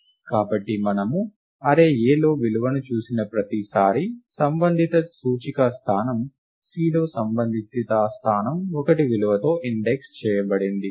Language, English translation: Telugu, So, every time we see a value in the array A, the corresponding index location – corresponding location in C indexed by the value is incremented by 1